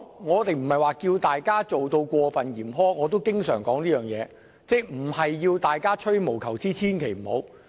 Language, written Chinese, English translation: Cantonese, 我不是要求訂定過分嚴苛的規定，我也經常說並非要大家吹毛求疵，千萬不要這樣做。, I am not asking the Government to impose excessively stringent requirements and as I often say I am not asking Members to act fastidiously . Never do that